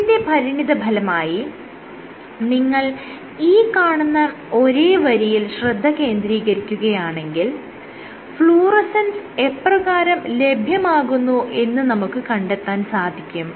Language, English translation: Malayalam, So, as a consequence if you look at the same line if you look at the same line and see how the fluorescence will evolve what you can get